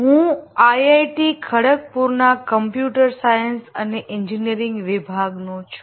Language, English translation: Gujarati, I belong to the computer science and engineering department of IIT Khodopur